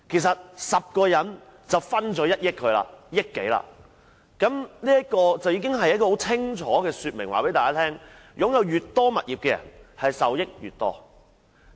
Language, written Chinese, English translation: Cantonese, 十個人便能分享到1億多元，這已清楚說明，擁有越多物業的人受益越多。, Ten people have shared over 100 million . This has clearly shown that people who own more properties can benefit more